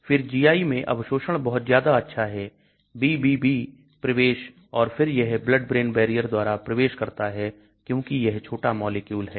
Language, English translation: Hindi, Then GI absorption, is very good high, BBB penetration again penetrates through the blood brain barrier, because it is a small molecule